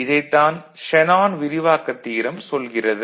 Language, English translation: Tamil, This is what Shanon’s expansion theorem says, right